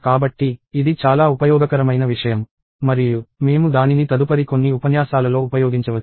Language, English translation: Telugu, So, this is a very useful thing; and we may use it in the next few lectures